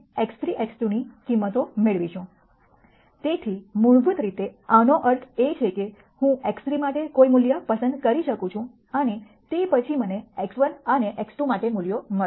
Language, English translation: Gujarati, So, basically what this means is that, I can choose any value for x 3 and then corresponding to that I will get values for x 1 and x 2